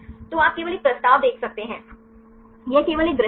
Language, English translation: Hindi, So, you can see only one motion right this is only one view